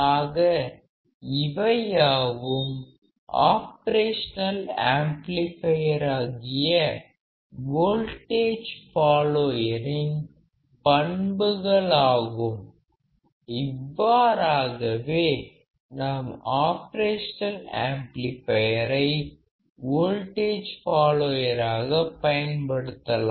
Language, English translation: Tamil, So, these are the characteristics of operational amplifier particular as a voltage follower; this is how we can use operational amplifier as a voltage follower